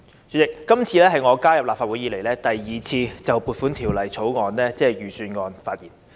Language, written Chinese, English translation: Cantonese, 主席，這次是我加入立法會後，第二次就撥款法案，即財政預算案發言。, President this is the second time I speak on the Appropriation Bill ie . the Budget since I joined the Legislative Council